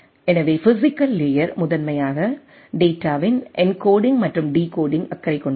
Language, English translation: Tamil, So, physical layer is primarily concerned with encoding and decoding of the data